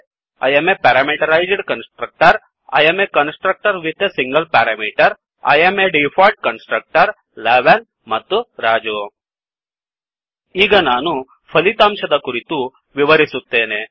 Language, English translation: Kannada, We get the output as I am a Parameterized Constructor I am a constructor with a single parameter I am Default Constructor 11 and Raju Now, I will explain the output